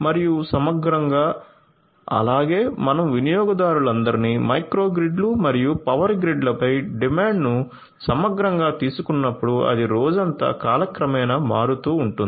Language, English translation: Telugu, And holistically as well when you take all the customers together the demand on the micro grids and the power grids holistically that is also going to vary over time throughout the day